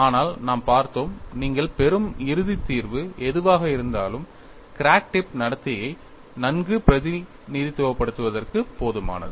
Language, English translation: Tamil, But we have seen whatever the final solution you get is reasonably good enough to represent the crack tip behavior quite well